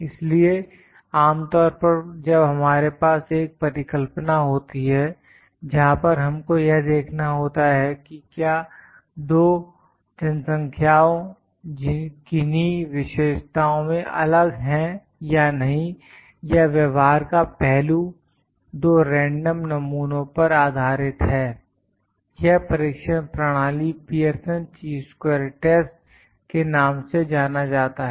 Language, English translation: Hindi, So, typically when we have a hypothesis where we whether we need to see that whether or not, the two populations are different in some characteristic or aspect or the behavior is based upon two random samples this test procedure is known as Pearson Chi square test